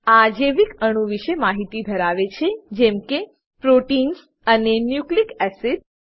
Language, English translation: Gujarati, It has information about biomolecules such as proteins and nucleic acids